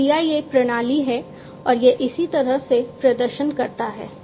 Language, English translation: Hindi, So, this is the CIA system that and this is how it performs